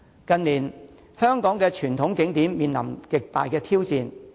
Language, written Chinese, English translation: Cantonese, 近年香港的傳統景點面臨極大挑戰。, In recent years the traditional tourism attractions in Hong Kong have faced huge challenges